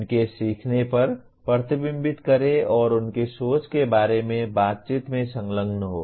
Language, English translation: Hindi, Reflect on their learning and engage in conversation about their thinking